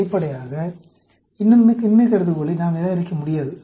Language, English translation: Tamil, Obviously, we cannot reject the null hypothesis